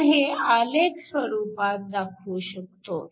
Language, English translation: Marathi, We can show this in a graphical fashion